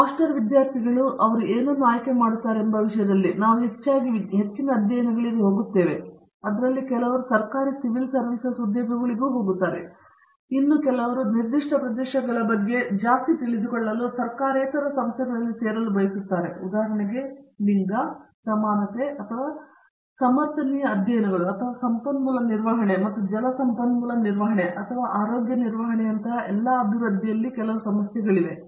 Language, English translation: Kannada, In terms of what they choose to do for master students, we see mostly going to higher studies some of them go to government civil services jobs, some of them preferably join non government organizations to learn more about this specific areas, take for example, somebody is specialized in some issues in developmental studies like gender, equality or sustainability studies or like a resource management and water resource management or health care management and all that